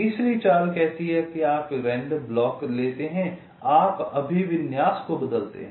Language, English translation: Hindi, the third move says you pick up a block at random, you change the orientation